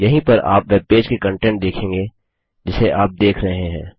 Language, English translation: Hindi, This is where you see the content of the webpage you are viewing